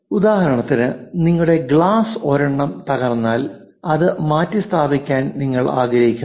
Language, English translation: Malayalam, For example you broke your one of the glass, you would like to replace it this one you would like to replace it